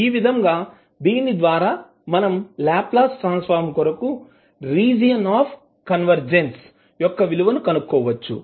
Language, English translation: Telugu, So with this you can find out the value of the region of convergence for Laplace transform